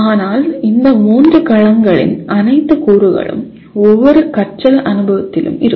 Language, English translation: Tamil, But all the elements of these three domains will be present in any learning experience